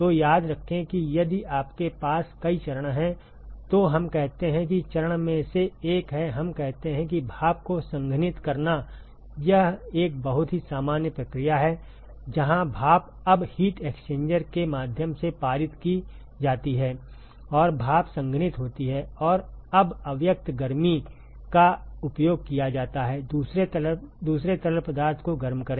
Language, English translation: Hindi, So, remember that if you have multiple phases, let us say one of the phase is let us say condensing steam it is a very common process where steam is now passed through the heat exchanger and the steam condenses and the latent heat is now used to heat another fluid